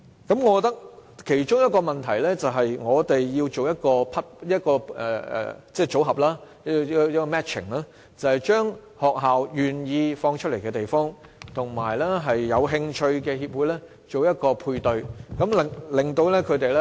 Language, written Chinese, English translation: Cantonese, 我覺得其中一個問題是，我們要先做一個組合配對，把學校願意開放出來的地方，與有興趣的協會作一個配對。, I think a very step we have to take is to do the matching for schools and sports associations so as to pair up schools which are willing to lend their venues with sports associations which are interested in using them